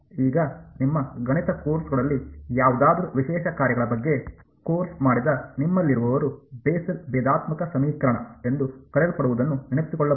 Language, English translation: Kannada, Now, those of you who have done course on special functions whatever in your math courses might recall what is called the Bessel differential equation